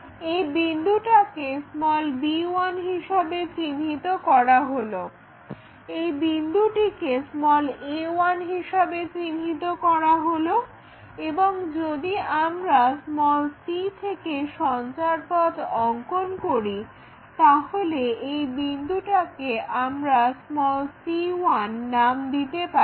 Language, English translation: Bengali, So, this one maps to b 1 and this point maps to a 1 and this line maps to are the locus if we are constructing from c this point let us call c 1